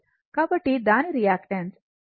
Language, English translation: Telugu, So, its reactance is your L omega